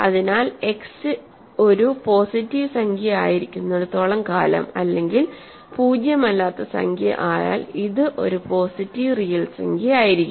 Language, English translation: Malayalam, So, it will be a positive real number as long as x is a positive integer as long as x is a nonzero element